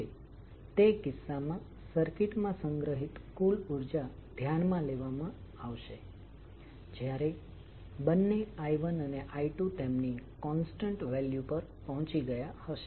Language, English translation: Gujarati, Now in that case, the total energy stored in the circuit will be considered when both I 1, I 2 have reach the their constant value